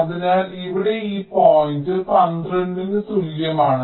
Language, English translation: Malayalam, so here this point refers to t equal to twelve